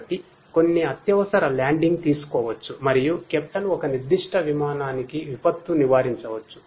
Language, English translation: Telugu, So, that some emergency landing could be taken and a disaster would be avoided for a particular aircraft by the captain